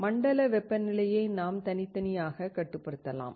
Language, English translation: Tamil, We can control the zone temperature individually